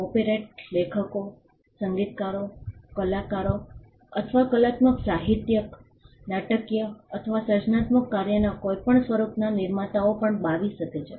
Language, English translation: Gujarati, Copyright can vest on the authors, composers, artists or creators of artistic literary, dramatic or any form of creative work